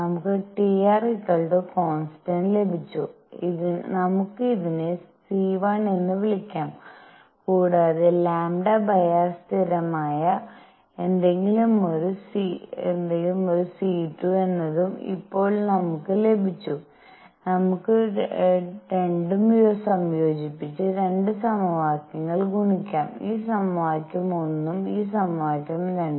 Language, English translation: Malayalam, We have got T times r is a constant, let us call this c 1 and we have also got just now that lambda over r is a constant which is some c 2, we can combine the 2 and multiply both equations; this equation 1 and this equation 2